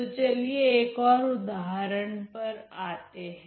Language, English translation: Hindi, So, let us move ahead to another example now